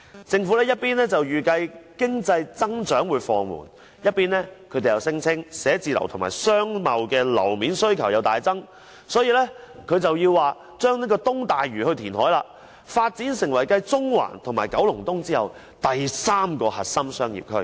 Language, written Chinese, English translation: Cantonese, 政府一邊預計經濟增長放緩，一邊卻聲稱辦公室和商貿樓面需求大增，所以要在東大嶼填海，發展成為繼中環和九龍東後第三個核心商業區。, On the one hand the Government is expecting a slowdown in economic growth . On the other hand it claims that the demand for offices and floor areas for trade and commerce has increased significantly . It is for that reason that reclamation in East Lantau is deemed necessary to make it become the third core business district CBD after Central and Kowloon East